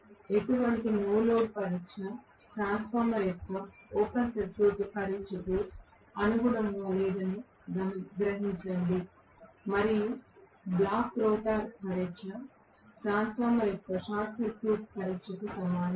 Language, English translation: Telugu, So, please realize that the no load test is corresponding to open circuit test of a transformer and block rotor test is equal to short circuit test of a transformer